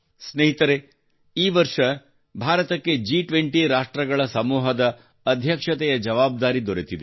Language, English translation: Kannada, Friends, this year India has also got the responsibility of chairing the G20 group